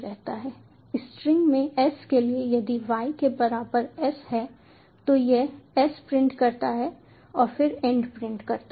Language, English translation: Hindi, if s equal to equal to y, it continues, then prints s and then end